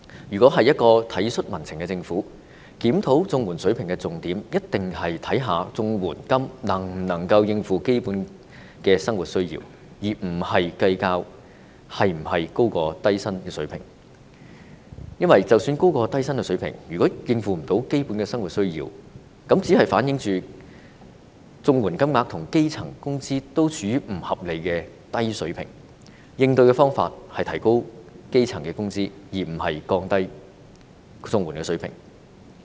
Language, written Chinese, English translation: Cantonese, 如果是一個體恤民情的政府，在檢討綜援水平時的重點，一定是考慮綜援金額能否應付基本的生活需要，而不是計較是否高於低薪的水平，因為即使是高於低薪的水平，如果無法應付基本的生活需要，這只是反映出綜援金額跟基層工資均處於不合理的低水平，應對方法是提高基層工人的工資，而不是降低綜援的水平。, For a government with compassion for public sentiments a major consideration in reviewing the CSSA rates is definitely whether the CSSA rates can meet the basic livelihood needs rather than finding out whether it is higher than the low wage levels . It is because even though the rates are higher than the low wage levels if they fail to meet the basic livelihood needs it only shows that the CSSA rates and the grass - roots wages are both pitched at unreasonably low levels . To address such a situation the wages of grass - roots workers should be increased rather than lowering the CSSA rates